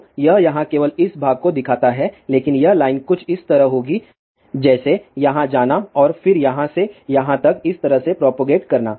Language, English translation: Hindi, So, just shows the only this part here, but this line will be something like this going here and then way will be propagating from here to this here